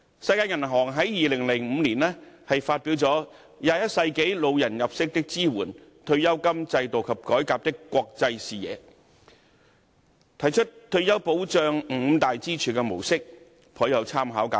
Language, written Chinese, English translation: Cantonese, 世界銀行在2005年發表了《21世紀老年入息的支援——退休金制度及改革的國際視野》，提出退休保障五大支柱的模式，頗有參考價值。, The five - pillar retirement protection model proposed in the World Banks 2005 report entitled Old Age Income Support in the 21 Century An International Perspective on Pension Systems and Reform is valuable reference